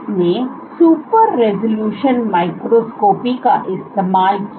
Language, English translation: Hindi, So, she used super resolution microscopy